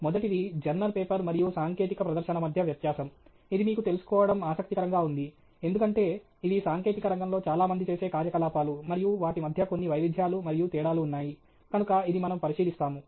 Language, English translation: Telugu, The first is a technical presentation versus a journal paper; this is interesting for us to know, because these are activities that most people in the technical field do, and there are some variations and differences between them, and so that’s something we will look at